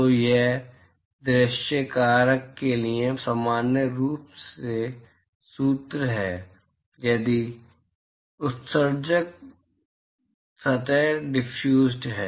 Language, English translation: Hindi, So, this is the general formula for view factor if the emitting surface is diffused